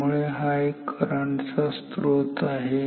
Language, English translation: Marathi, So, this is current source